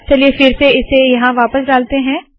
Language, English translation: Hindi, So let me put this back here